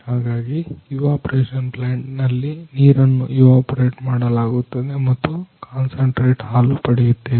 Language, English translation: Kannada, So, in evaporation plant we evaporated water and concentrate milk